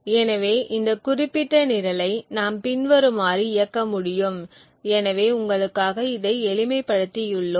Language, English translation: Tamil, So we could run this particular program as follows, so we have simplified it for you